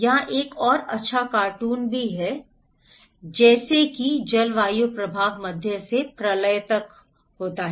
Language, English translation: Hindi, Here, is another good cartoon also, like climate impact range from moderate to catastrophic